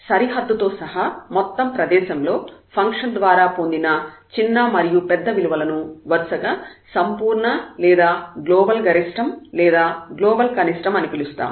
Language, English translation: Telugu, So, the smallest and the largest values attained by a function over entire domain including the boundary of the domain are called absolute or global minimum or absolute or global maximum respectively